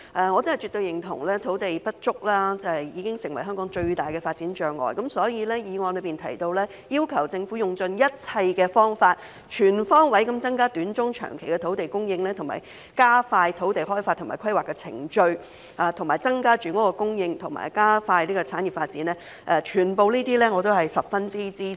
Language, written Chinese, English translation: Cantonese, 我絕對認同土地不足已經成為香港最大的發展障礙，所以議案提到"要求政府用盡一切方法，全方位增加短、中、長期的土地供應，並加快土地開發及規劃的程序，從而增加住屋供應及加快產業發展"，我全都十分支持。, I absolutely agree that the shortage of land has become the biggest obstacle to development in Hong Kong . Thus I strongly support all the proposals made in the motion which include requests the Government to exhaust all means to increase the short - medium - and long - term land supply on all fronts and expedite the land development and planning procedures thereby increasing the housing supply and speeding up industries development